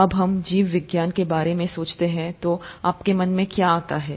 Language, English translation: Hindi, When you think of ‘Biology’, what does it bring to your mind